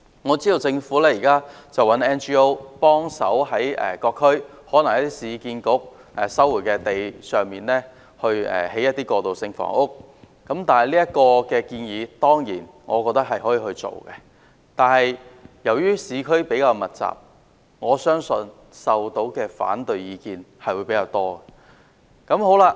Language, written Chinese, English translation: Cantonese, 我知道政府現在希望 NGO 協助在各區例如是市區重建局收回的土地上提供過渡性房屋，我認為當然可以落實這項建議，但由於市區人口比較密集，我相信收到的反對意見會較多。, I am aware that the Government is now enlisting non - governmental organizations NGOs in providing transitional housing on for example lands resumed by the Urban Renewal Authority in various districts . I certainly consider this recommendation feasible to implement . But I believe it will meet with more opposition in the urban areas which are more densely populated